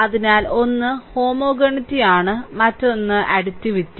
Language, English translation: Malayalam, So, one is homogeneity, another is additivity right